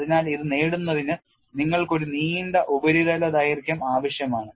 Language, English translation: Malayalam, So, for it to attain this, you need to have a long surface length